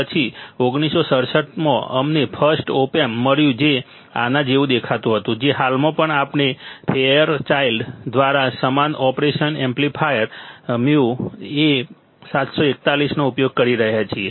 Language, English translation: Gujarati, Then in 1967, 1967 we got the first op amp which looked like this which currently also we are using the same operation amplifier mu A741 by Fairchild by Fairchild